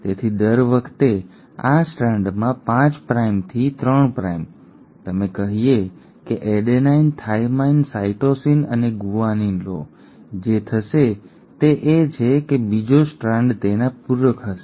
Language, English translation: Gujarati, So every time in this strand, 5 prime to 3 prime, you let's say have an adenine, a thymine, a cytosine and a guanine, what will happen is the second strand will be complementary to it